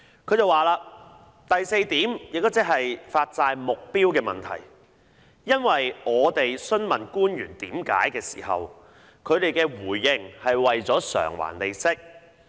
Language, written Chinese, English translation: Cantonese, 她表示："第四點，也是發債目標的問題......因為當我們詢問官員為何要成立債券基金時，他們的回應是為了償還利息。, She said The fourth point is also about the purpose of the bond issue This was because when we asked the officials why a Bond Fund should be set up they responded that making interest repayments was the purpose